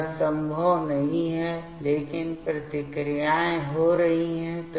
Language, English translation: Hindi, So, this is not possible, but the reactions are happening